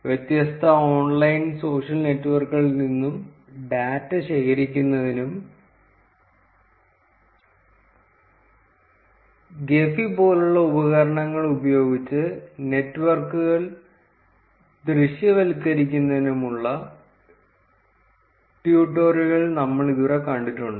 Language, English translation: Malayalam, Until now we have seen tutorials for collecting data from different online social networks and visualizing networks using tools such as Gephi